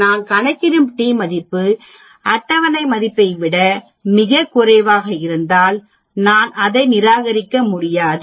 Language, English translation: Tamil, The t value which I calculate is much large than the table value, then I need to reject null hypothesis